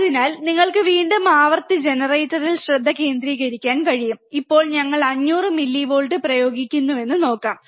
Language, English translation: Malayalam, So, again you can focus on the frequency generator, let us see now we are applying 500 millivolts, alright